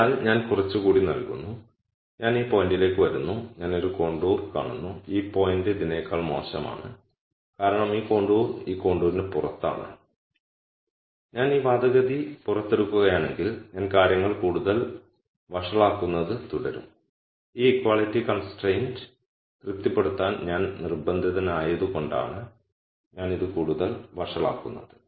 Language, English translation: Malayalam, So, I give some more I come to this point and I see a contour and this point is worse than this because this contour is outside this contour and if I extract this argument let us say I keep making things worse and the only reason I am making these worse is because I am forced to satisfy this equality constraint